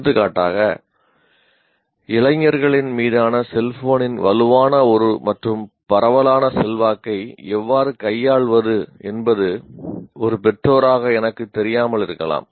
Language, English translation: Tamil, For example, as a parent, I may not even know how to handle the, what do you call the strong and all pervading influence of a cell phone on a youngster